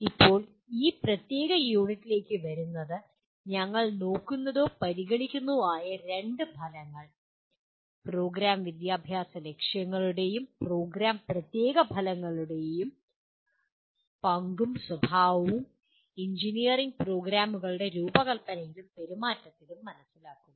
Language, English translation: Malayalam, Now, coming to this particular unit, the two outcomes that we look at or we consider are understand the role and nature of Program Educational Objectives and program Specific Outcomes in the design and conduct of engineering programs